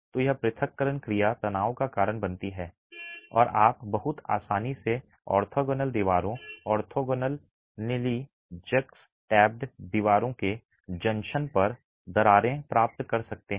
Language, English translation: Hindi, So, this separation action causes tension and you can get cracks very easily formed at the junction of orthogonal walls, orthogonally juxtaposed walls